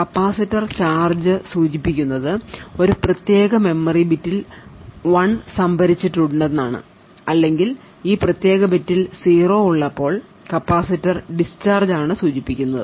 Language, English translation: Malayalam, Now the capacitor holds charge and to indicate that a 1 is stored in that particular memory bit or a capacitor discharges when a 0 is present in that particular bit